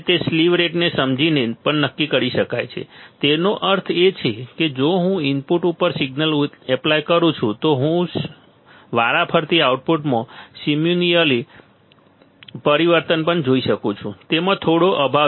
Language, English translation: Gujarati, And it can also be determined by understanding the slew rate by understanding the slew rate ; that means, if I apply this signal at the input can I also see the corresponding change in the output simultaneously right it has some lack